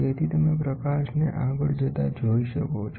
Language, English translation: Gujarati, So, you can see light going by